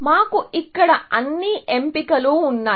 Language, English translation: Telugu, So, we have those all choices here, as well